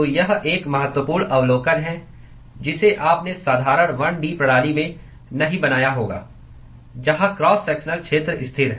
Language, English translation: Hindi, So, this is an important observation which you would not have made in the simple 1 D system where the cross sectional area is constant